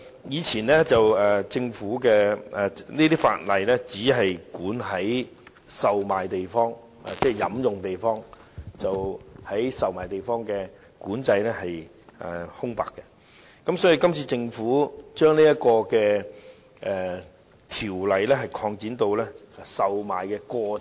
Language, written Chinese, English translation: Cantonese, 以前這些法例不規管售賣地方，只管制飲用地方，售賣地方是留有空白的，這次政府將條例規管範圍擴展至售賣的過程。, The ordinance now does not regulate the places where liquor is sold but only the places where liquor is drunk . The places of liquor sale are left unregulated . The Government now wishes to extend the scope of the ordinance to cover the process of liquor sales